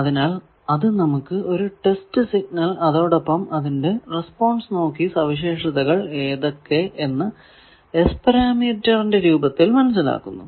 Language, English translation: Malayalam, So, it gives the test signal itself and sees the response of the network from that it infers the characteristic of the networks in terms of S parameter